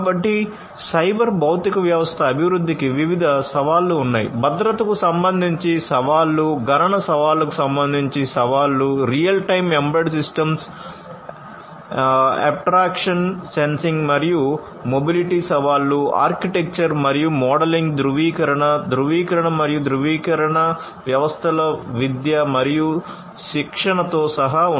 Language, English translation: Telugu, So, there are different challenges of cyber physical system development; challenges with respect to safety, security, robustness, computational challenges real time embedded system abstractions sensing and mobility challenges are there architecture and modeling verification validation and certification and including education and training of these systems